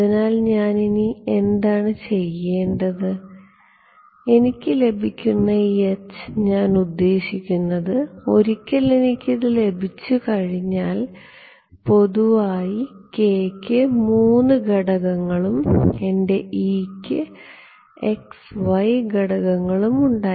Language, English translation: Malayalam, So, what do I need to do next, this H that I get, I mean once I get, once I have this k cross e, k in general is given by this right, k has 3 components and my e has x y components